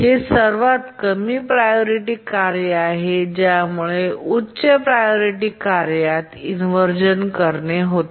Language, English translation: Marathi, Only the low priority tasks can cause inversion to a higher priority task